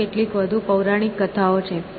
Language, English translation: Gujarati, There is some more mythology